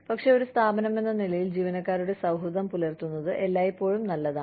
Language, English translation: Malayalam, But, as an organization, it is always nice to be employee friendly